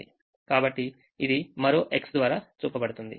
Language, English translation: Telugu, so that is shown by another x coming here